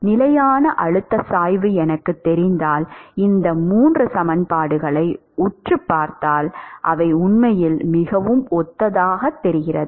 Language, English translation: Tamil, If I know the pressure gradient that is a constant then if you stare at these 3 equations they are actually looking very similar